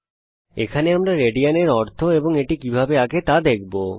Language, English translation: Bengali, In this lesson we will understand what a radian means and how to draw a radian